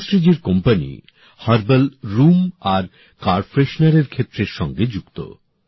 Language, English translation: Bengali, Subhashree ji's company is working in the field of herbal room and car fresheners